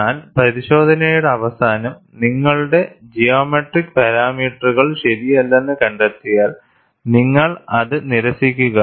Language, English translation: Malayalam, But at the end of the test, if you find that your geometric parameters were not alright, you simply discard